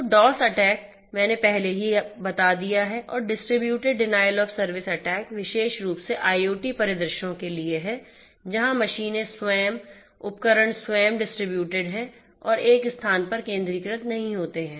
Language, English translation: Hindi, So, DoS attack, I have already told you and distributed denial of service attack is particularly relevant for IoT scenarios, where the machines themselves the devices themselves are distributed and not centralized in one location